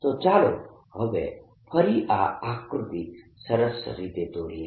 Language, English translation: Gujarati, so let's now again make this figure neatly